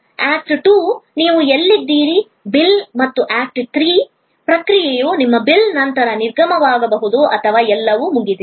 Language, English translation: Kannada, The act 2 can be where you are in the process of dining and act 3 can be a departure after your bill and everything is done